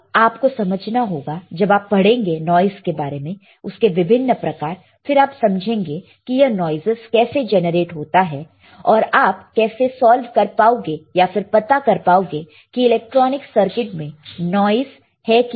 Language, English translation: Hindi, Now, you guys you have to understand, once you read what are the types of noises right, understand where exactly this noises are generated, and how can you solve, how can you solve or how can you find if there is a noise in an electronic circuit ok